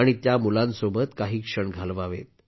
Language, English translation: Marathi, And spend some moments with those children